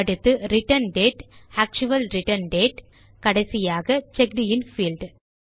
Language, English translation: Tamil, Next, the Return date,the actual return date And finally the checked in field